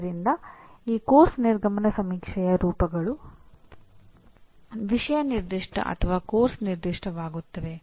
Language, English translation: Kannada, But, so these course exit survey forms become subject specific or course specific